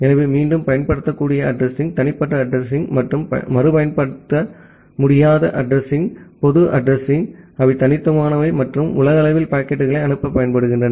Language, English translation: Tamil, So, the reusable address are the private address and the non reusable address are the public address which are unique and which are used to send the packets globally